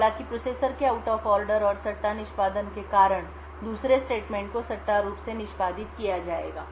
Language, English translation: Hindi, So however due to the out of order and speculative execution of the processor the second statement would be speculatively executed